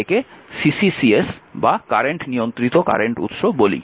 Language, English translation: Bengali, So, it is current controlled current source CCCS we call right